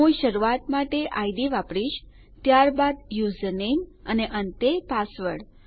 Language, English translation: Gujarati, Ill use id for start, next user name and lastly password